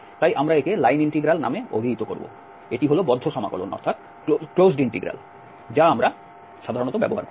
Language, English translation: Bengali, So we call this line integral, this is for the closed integral we usually use